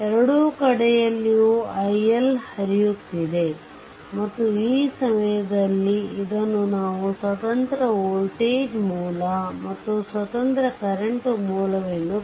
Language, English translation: Kannada, Here also i L is flowing here also i L is flowing, and this current source that is independent current source for the timing we have consider independent voltage source and independent current source